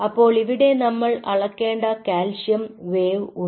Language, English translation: Malayalam, so there is a calcium wave which has to be measured